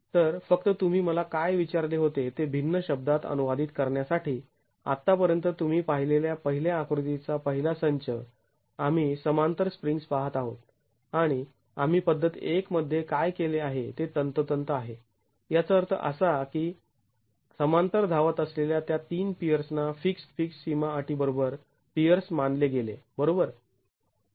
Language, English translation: Marathi, So just to paraphrase what you asked me, as far as the first set of the first figure that you have seen, we are looking at springs in parallel and this is exactly what we did in method one which means those three peers which were running in parallel were considered as peers with fixed fixed boundary conditions